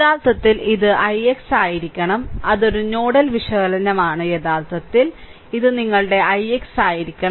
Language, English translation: Malayalam, Actually, it should be i x right, that is a nodal analysis actually this should be your i x right